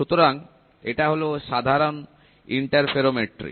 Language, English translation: Bengali, So, this is typical interferometry